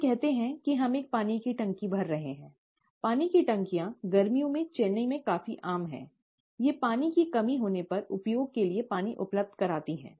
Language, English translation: Hindi, Let us say that we are filling a water tank; water tanks are quite common in Chennai in summer, they provide water for use when water scarcity sets in